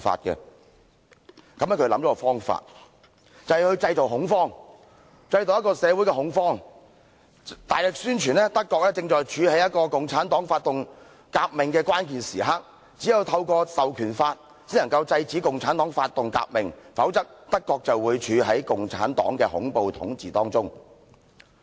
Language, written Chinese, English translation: Cantonese, 於是他想出一個方法，便是製造社會恐慌，大力宣傳德國正在處於共產黨發動革命的關鍵時刻，只有透過《授權法》才能制止共產黨發動革命，否則，德國便會處於共產黨的恐怖統治當中。, So he came up with a stratagem the stratagem of creating social panic through a vigorous campaign propagating that Germany was facing the critical moment of a Communist - initiated revolution and only an Enabling Act could stop the Communist Party from starting a revolution; without it Germany would fall under the terrorist rule of the Communist Party